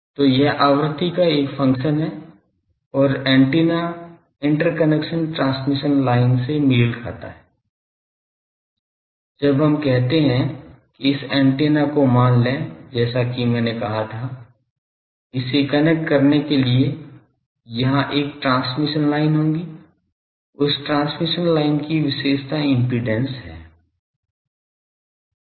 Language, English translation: Hindi, So, it is a function of frequency and antenna is matched to the interconnection transmission line, when we say that suppose this antenna as I said that, there will be a transmission line here to connect it that transmission line has a characteristic impedance